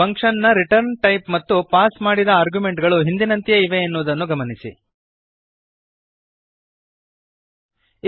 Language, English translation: Kannada, Note that the return type of the function is same and the arguments passed are also same